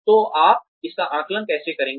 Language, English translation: Hindi, So, how will you assess this